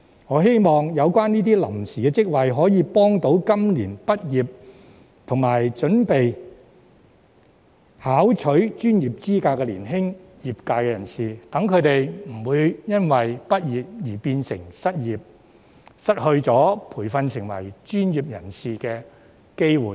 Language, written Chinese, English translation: Cantonese, 我希望這些臨時職位能幫助今年畢業並準備考取專業資格的年輕業界人士，讓他們不會因畢業而變成失業，失去接受培訓成為專業人士的機會。, I hope that these time - limited jobs can help young practitioners who are graduating this year and are preparing to obtain professional qualifications so that they will not be unemployed upon graduation or miss the opportunity to receive training to become professionals